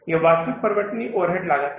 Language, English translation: Hindi, And then is the actual overhead cost